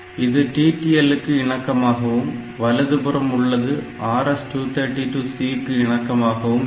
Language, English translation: Tamil, So, this one this is this left side is TTL compatible on the right side is RS232 C compatible